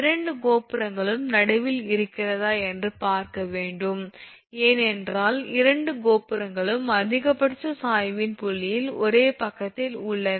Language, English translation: Tamil, This is just you have to see if both the towers are midway because you both the towers are on the same side of the point of maximum sag